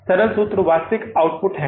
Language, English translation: Hindi, Simple formula is actual order